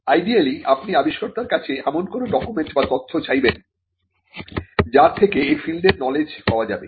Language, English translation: Bengali, You could ideally ask the inventor for a document or a piece of information which discloses the knowledge in the field